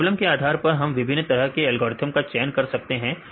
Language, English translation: Hindi, So, the depends on your problem we can choose different types of algorithms